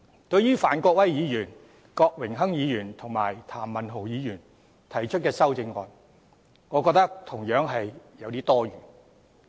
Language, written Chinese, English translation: Cantonese, 對於范國威議員、郭榮鏗議員及譚文豪議員提出的修正案，我認為同樣有點多此一舉。, As for the amendments proposed by Mr Gary FAN Mr Dennis KWOK and Mr Jeremy TAM I consider them similarly a bit redundant